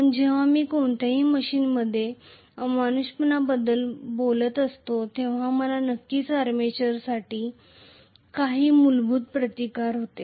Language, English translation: Marathi, But when I am talking about nonideality in any machine I am definitely going to have some inherent resistance for the armature